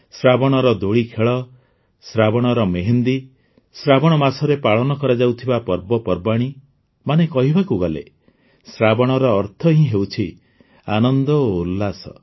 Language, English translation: Odia, The swings of Sawan, the mehendi of Sawan, the festivities of Sawan… that is, 'Sawan' itself means joy and enthusiasm